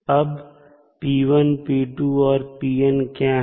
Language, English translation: Hindi, Now, what are the p1, p2 and pn